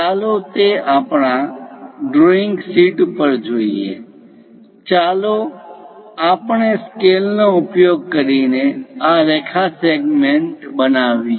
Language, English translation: Gujarati, Let us look at that on our drawing sheet; let us use a scale, construct a line segment